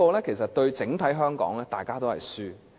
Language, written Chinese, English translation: Cantonese, 這對整體香港而言，大家也是輸家。, To Hong Kong at large it means that we are all rendered losers